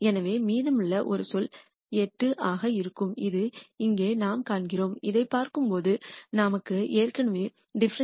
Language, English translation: Tamil, So, the only term remaining will be 8 which is what we see here and when we look at this we already have dou f dou x 2